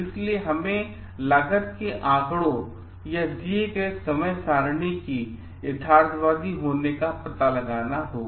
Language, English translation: Hindi, So, like this we have to find out at the cost figures or the time schedules given are realistic or not